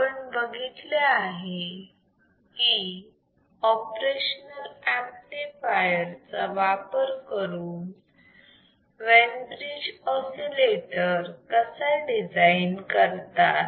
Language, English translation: Marathi, What we have seen how we can design a Wein bride oscillator using operational amplifier